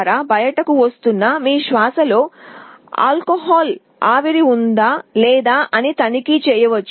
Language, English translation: Telugu, It can check whether your breath that is coming out contains means alcohol vapor or not